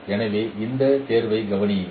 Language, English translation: Tamil, So consider this selection